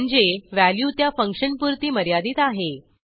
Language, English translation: Marathi, Which means the value is limited to the function